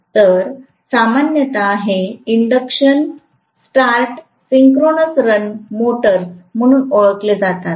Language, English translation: Marathi, So, these are generally known as induction start synchronous run motors